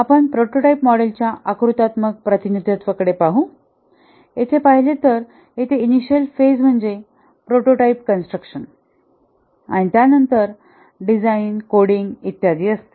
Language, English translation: Marathi, If we look at the diagrammatic representation of the prototyping model, the initial phase here is prototype construction and after that the design, coding, etc